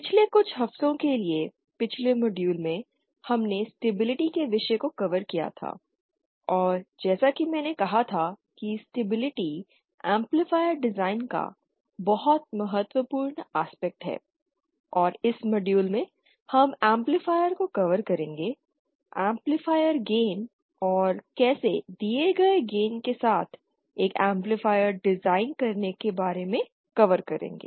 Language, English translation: Hindi, In the previous modules for the past few weeks we had covered the topic of stability and as I had said stability is the very important aspect of amplifier design, and in this module we will be covering about amplifier, about amplifier gain how to design an amplifier with a given gain